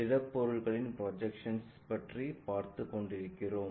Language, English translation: Tamil, We are covering Projection of Solids